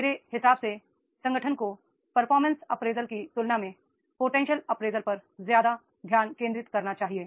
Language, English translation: Hindi, My submission is this, that is the organization should more focus on the potential appraisal as compared to the performance appraisal